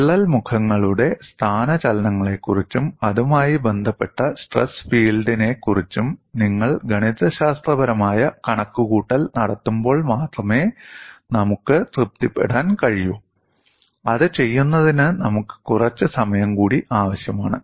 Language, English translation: Malayalam, We can be satisfied only when you do the mathematical calculation completely on the displacements of the crack phases, as well as the stress feel associated with it, that would require some more time for us to do that